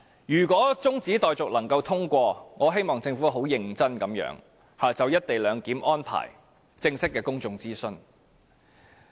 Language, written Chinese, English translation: Cantonese, 如果中止待續議案獲得通過，我希望政府會很認真地就"一地兩檢"安排進行正式的公眾諮詢。, If the motion for adjournment of debate is passed I hope the Government will seriously conduct formal public consultations on the co - location arrangement